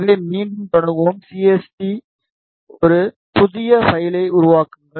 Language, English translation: Tamil, So, let us start again CST create a new file